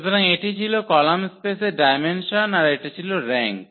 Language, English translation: Bengali, So, that was the dimension of the column space that was the rank there